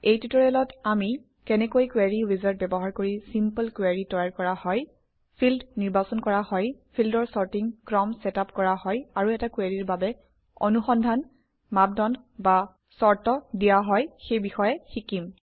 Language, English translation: Assamese, In this tutorial, we will learn how to create simple queries using the Query wizard Select fields Set the sorting order of the fields And provide search criteria or conditions for a query Let us first learn what a query is